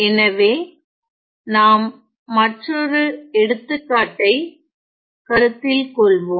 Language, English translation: Tamil, So, let us now consider another example